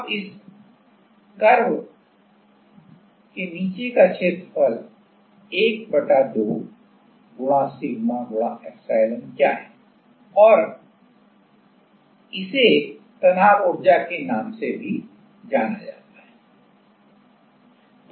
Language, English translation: Hindi, Now what is the area under this curve is 1/2 * sigma * epsilon and this is also known as the strain energy